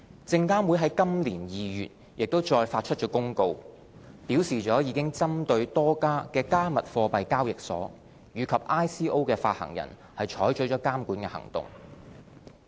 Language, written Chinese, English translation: Cantonese, 證監會在今年2月亦再發出公告，表示已針對多家"加密貨幣"交易所及 ICO 發行人採取了監管行動。, In February 2018 SFC issued an announcement that it had taken regulatory actions against a number of cryptocurrency exchanges and issuers of ICOs